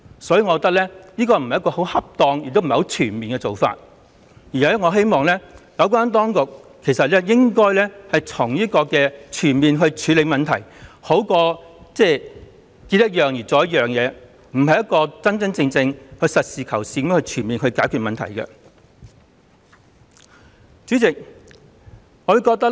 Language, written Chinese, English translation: Cantonese, 所以，我認為這不是恰當和全面的做法，我希望有關當局全面地處理問題，這樣總比遇到一件事才解決一件事的做法好，因為這樣不是真真正正、實事求是、全面解決問題的做法。, I thus do not think this is an appropriate and comprehensive approach . I hope the authorities concerned can comprehensively tackle this problem rather than taking a piecemeal approach . It is because the latter approach is not a pragmatic solution that can truly and comprehensively solve the problem